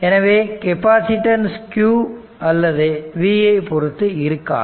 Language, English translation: Tamil, So, in fact capacitance it does not depend on q or v right